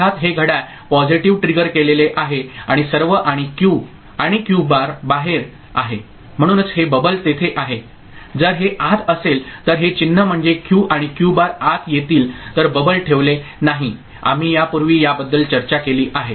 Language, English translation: Marathi, Of course, it is clock positive triggered and all and the Q and Q bar this is outside that is why these bubble is there if it is inside the convention is not to put the bubble I mean this symbols Q and Q bar if they come inside bubble is not put we have discussed this before